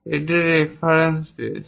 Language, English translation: Bengali, This is the reference base